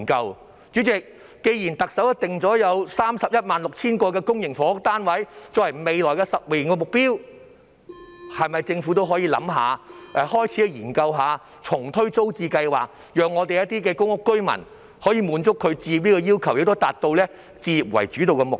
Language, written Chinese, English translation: Cantonese, 代理主席，既然特首訂定了 316,000 間公營房屋單位作為未來10年的目標，政府是否可以考慮開始研究重推租置計劃，讓公屋居民滿足置業需求，並達到以置業為主導的目標？, Deputy President since the Chief Executive has formulated a target of building 316 000 public housing units in the coming 10 years will the Government consider commencing a study on relaunching TPS so as to satisfy the home ownership needs of public rental housing residents and achieve the home ownership - oriented target?